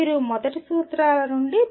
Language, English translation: Telugu, You have to work out from the first principles